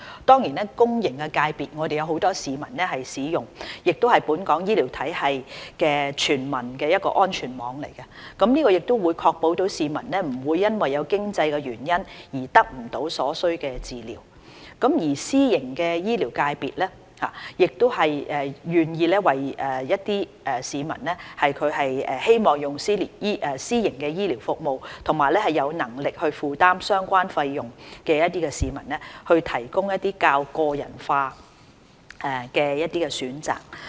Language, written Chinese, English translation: Cantonese, 當然在公營醫療界別，有很多市民使用，也是本港醫療體系中全民的安全網，確保市民不會因經濟原因而得不到所需的醫療服務，而私營醫療界別願意為一些希望使用私營醫療服務和有能力負擔相關費用的市民提供較個人化的選擇。, Certainly while popular for its services the public healthcare sector also serves as a safety net for the whole population in Hong Kongs healthcare system ensuring that no one will be denied the necessary healthcare services through lack of means whereas the private healthcare sector provides more personalized options for those who wish and can afford to use private healthcare services